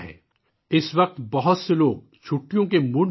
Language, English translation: Urdu, At this time many people are also in the mood for holidays